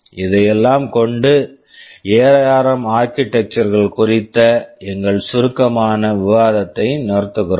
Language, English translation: Tamil, With all this, we stop our brief discussion on the ARM architectures